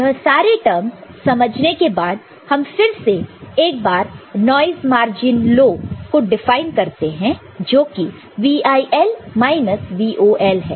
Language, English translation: Hindi, So, after understanding these terms once more now, we define noise margin high, no noise margin low as VIL minus VOL